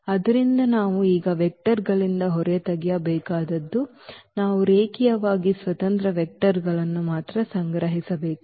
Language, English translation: Kannada, So, what we have to now extract out of these vectors what we have to collect only the linearly independent vectors